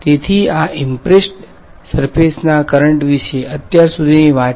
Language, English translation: Gujarati, So, that is the story so, far about these impressed surface currents